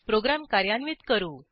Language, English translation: Marathi, Let us execute our program